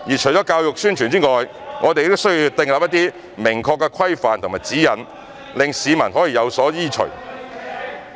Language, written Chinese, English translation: Cantonese, 除了教育宣傳外，我們亦需要定出一些明確的規範和指引，讓市民有所依循。, Apart from education and publicity it is also necessary to set out some clear regulations and guidelines for members of the public to follow